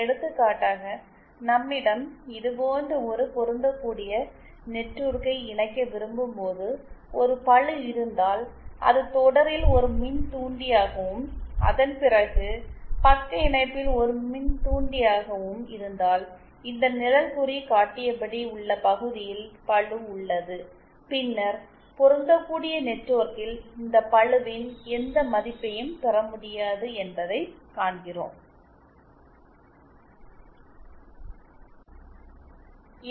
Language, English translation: Tamil, For example, if we have, if we have a load when we would like to connect a matching network like this that is an inductor in series and an inductor in shunt after that, then is that load is in this region shown by this shading mark, then we see that no value of this load can be obtained on matching network